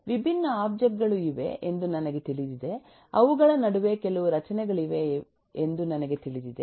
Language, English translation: Kannada, now, I know that there are different objects, I know that there are certain structure between them